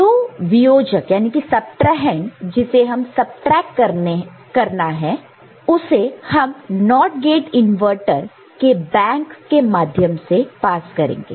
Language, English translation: Hindi, So, the subtrahend the one that we want to subtract, we pass it through a bank of NOT gate inverter